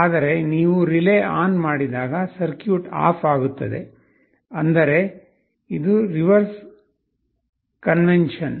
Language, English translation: Kannada, But, when you turn on the relay the circuit will be off; that means, just the reverse convention